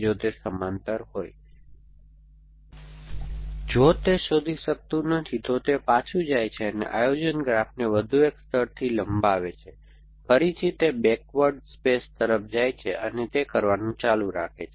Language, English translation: Gujarati, If it cannot find, it goes back and extends the planning graph by one more layer, again goes it will the backward space and keep doing that